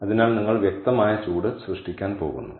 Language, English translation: Malayalam, so therefore you are going to generate heat, clear